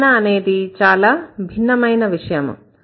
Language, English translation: Telugu, Description is a different story altogether